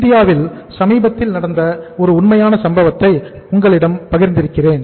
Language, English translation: Tamil, I have shared with you a story, a case, a real life case that happened recently in India